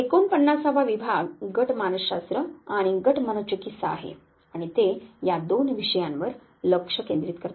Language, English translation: Marathi, The 49 division is that of group psychology and group psychotherapy and they focus on these two issues